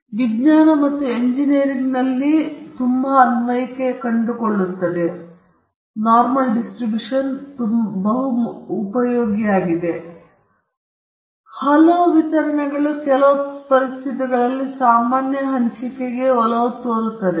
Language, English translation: Kannada, It finds applications in science and engineering and many of the other distributions also tend to the normal distribution under certain conditions